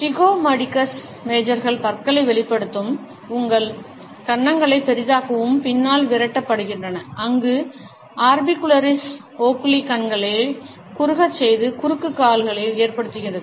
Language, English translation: Tamil, The zygomaticus majors driven out back to expose the teeth and enlarge your cheeks, where the orbicularis oculi make the eyes narrow and cause cross feet